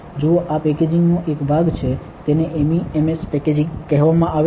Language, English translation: Gujarati, See this is part of packaging, it is called MEMS packaging